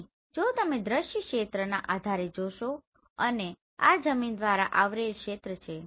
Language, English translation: Gujarati, So here if you see based on the field of view and this is the coverage on the ground